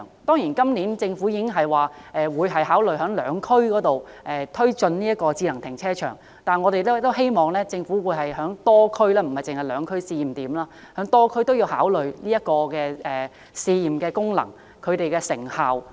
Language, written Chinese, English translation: Cantonese, 當然，政府今年已表示會考慮在兩區試點推進智能停車場，但我們希望政府能在多區推進智能停車場，檢視其功能及成效。, Of course the Government has said that it would consider providing automated car parks in two trial points but we hope that the Government will provide automated car parks in various districts to test their functions and effects